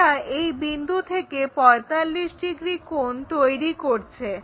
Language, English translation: Bengali, It makes 45 degrees from this point, 45